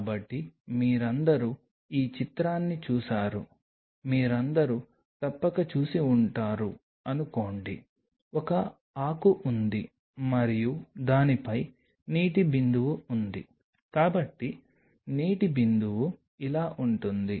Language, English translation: Telugu, So, all of you have seen this picture you must have all seen suppose there is a leaf and there is a water droplet on it so, water droplet is like this